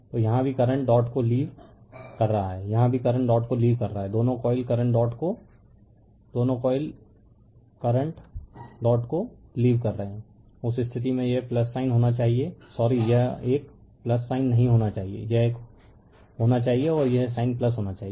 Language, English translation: Hindi, So, here also current leaving the dot, here also current leaving the dot current both the coils current leaving the dot; in that case this sign should be plus right sorry not this one sign should be plus this one and this one the sign should be plus